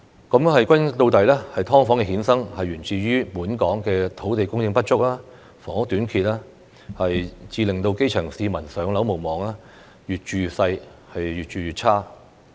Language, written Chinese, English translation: Cantonese, 歸根到底，"劏房"的衍生，源自於本港土地供應不足、房屋短缺，致令基層市民"上樓"無望，越住越細、越住越差。, After all the emergence of SDUs stems from the inadequate supply of land and shortage of housing in Hong Kong . As a result the grass roots have no hope of moving into PRH with their homes getting smallerin size and their living conditions becoming worse